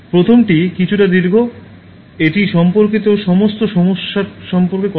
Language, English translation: Bengali, The first one is little bit longer, it tells about all issues related to that